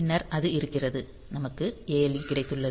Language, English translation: Tamil, Then so, that is there; then we have got the ALE